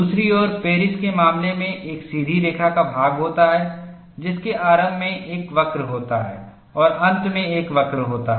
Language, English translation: Hindi, On the other hand, in the case of Paris, there is a straight line portion followed by one curve at the initial start and one curve at the end